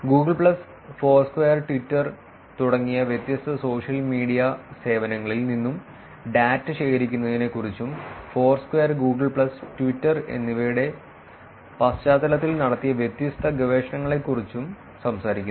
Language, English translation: Malayalam, Talking about collecting data from a different social media services like Google plus Foursquare and Twitter and different research that are done in the context of Foursquare Google plus and Twitter